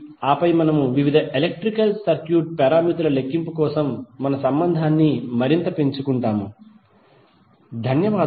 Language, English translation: Telugu, And then we will further build up the relationship for calculation of various electrical circuit parameters, thank you